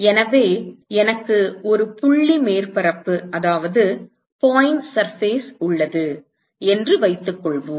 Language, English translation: Tamil, So, suppose I have a point surface